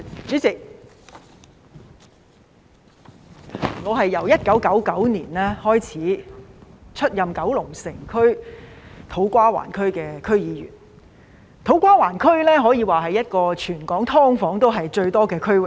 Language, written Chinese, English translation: Cantonese, 主席，我由1999年開始出任九龍城區、土瓜灣區的區議員，土瓜灣區可說是全港"劏房"最多的區域。, President I have been a District Council member of Kowloon City and To Kwa Wan since 1999 and To Kwa Wan is the district with the largest number of subdivided units SDUs in Hong Kong